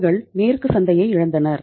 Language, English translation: Tamil, They lost the western market